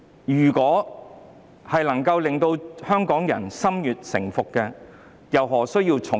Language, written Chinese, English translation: Cantonese, 如能令香港人心悅誠服，政府又何需用重典？, If Hong Kong people are pleased in their hearts core why should the Government impose heavy penalties?